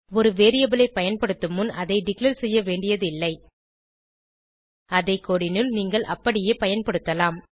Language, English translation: Tamil, You do not need to declare a variable before using it you can just use it into your code